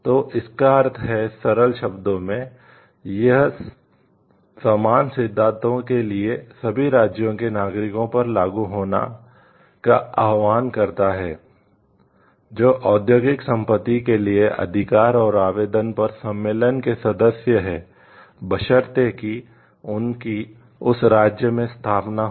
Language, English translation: Hindi, So, it means in simple words; like, it words it calls for application of the same rules to the nationals of all the states that are a member of the convention with respect to the application and granting of industrial property rights, provided they hold an establishment in that respective state